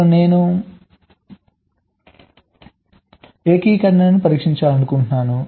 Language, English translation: Telugu, i want to test the integration of the course